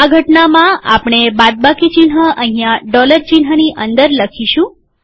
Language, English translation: Gujarati, In this case, we write the minus sign here inside the dollar sign